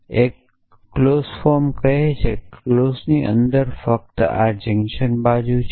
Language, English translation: Gujarati, Because the clause form says that the clause is has only the this junction side inside